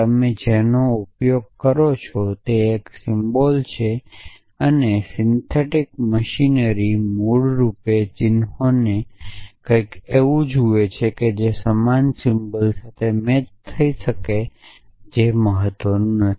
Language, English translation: Gujarati, It does not a matter what you use this it is a symbol and the syntactic machinery basically looks at the symbols as the something which can be match with same symbol